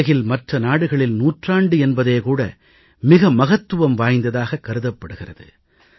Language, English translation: Tamil, For other countries of the world, a century may be of immense significance